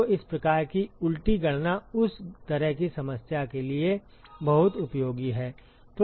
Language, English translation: Hindi, So, these kinds of reverse calculations are very very useful for that kind of problem